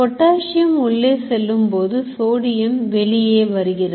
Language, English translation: Tamil, All the sodium potassium is going on in and out